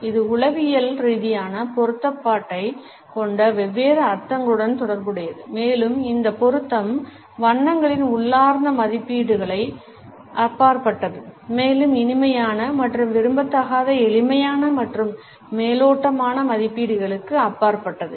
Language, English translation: Tamil, It is also associated with different meanings which have psychological relevance and this relevance goes beyond the intrinsic values of colors as well as beyond the simplistic and superficial appraisals of pleasantness and unpleasantness